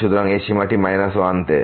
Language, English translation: Bengali, So, this is bounded by 1